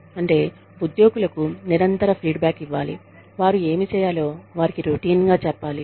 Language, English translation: Telugu, Which means, that the employees, should be given, continuous feedback, should be routinely told, what they need to do